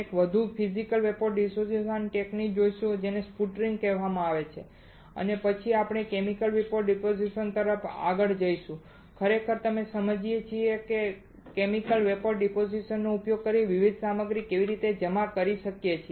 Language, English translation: Gujarati, We will see one more Physical Vapor Deposition technique that is called sputtering and then we move to Chemical Vapor Deposition where we really understand how we can deposit the different materials using Chemical Vapor Deposition